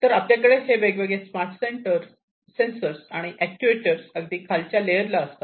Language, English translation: Marathi, So, we have these different smart sensors and actuators in the bottom most layer